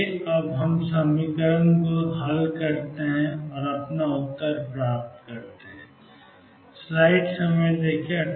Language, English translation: Hindi, Now, let us solve the equations and get our answers